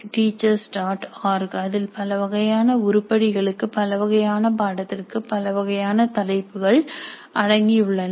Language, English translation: Tamil, org which contains a varieties of rubrics for a variety of items for a variety of courses